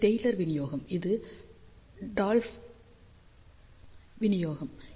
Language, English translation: Tamil, So, this is the Taylor distribution this is the Dolph Tschebyscheff distribution